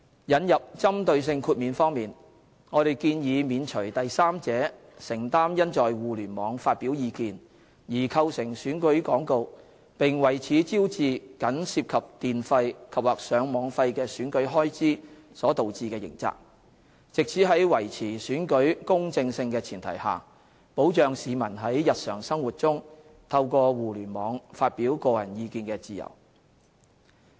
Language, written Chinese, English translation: Cantonese, 引入針對性豁免方面，我們建議免除第三者承擔因在互聯網發表意見而構成選舉廣告，並為此招致僅涉及電費及/或上網費的選舉開支所導致的刑責，以在維持選舉公正性的前提下，保障市民在日常生活中透過互聯網發表個人意見的自由。, In respect of introducing a targeted exemption we propose that a third party be exempted from criminal liability arising from the expression of views which constitutes election advertisements on the Internet and the election expenses which involve merely electricity andor Internet access charges thus incurred . This is to safeguard the freedom enjoyed by the public in their daily expression of views on the Internet on the premise of upholding the fairness of elections